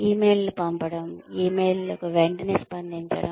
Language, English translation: Telugu, But, sending emails, responding to emails promptly